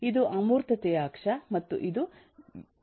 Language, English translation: Kannada, this is the axis of abstraction and this is the axis of decomposition